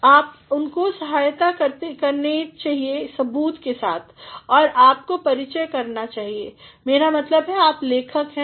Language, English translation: Hindi, So, you should support them by evidence and you should introduce, I mean you are the writer